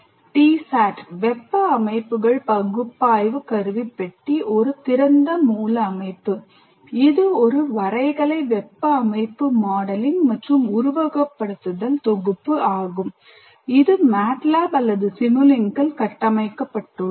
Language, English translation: Tamil, T SAT thermal systems analysis toolbox, an open source system is a graphical thermal system modeling and simulation package built in MATLAB or simulink